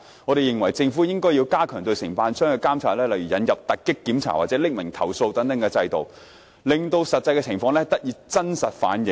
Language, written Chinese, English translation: Cantonese, 我們認為，政府應加強對承辦商的監察，例如引入突擊檢查或匿名投訴等制度，令實際情況得以真實反映。, In our opinion the Government should strengthen the supervision of contractors by for instance introducing raids or such systems as an anonymous complaint system to enable true reflection of the actual circumstances